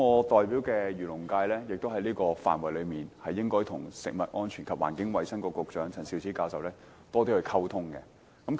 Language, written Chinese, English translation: Cantonese, 在這個範籌上，我代表的漁農界也應該與食物及衞生局局長陳肇始教授多作溝通。, In this area the agriculture and fisheries sector which I represent should communicate more with the Secretary for Food and Health Prof Sophia CHAN